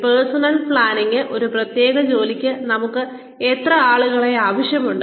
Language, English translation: Malayalam, Personnel planning, how many people, do we need for a particular task